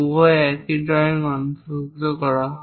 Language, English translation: Bengali, Both are included in the same drawing